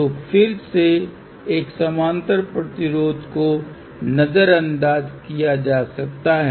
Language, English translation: Hindi, So, again a parallel resistor can be ignored